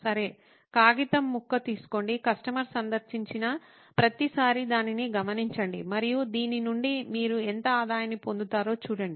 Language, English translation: Telugu, Well, take a piece of paper, every time a customer visits, note it down and see how much revenue you get out of this